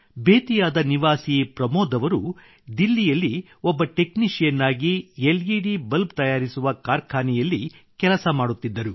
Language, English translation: Kannada, A resident of Bettiah, Pramod ji worked as a technician in an LED bulb manufacturing factory in Delhi